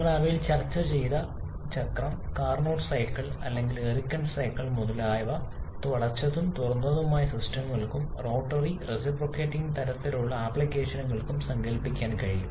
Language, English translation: Malayalam, The cycle that you have discussed among them the Carnot cycle or Ericsson cycle etc can be conceptualized for both closed and open systems and also for both rotary and reciprocating kind of applications